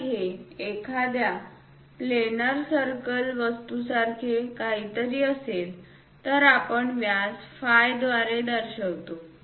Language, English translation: Marathi, If it is something like a circle planar thing, we represent by diameter phi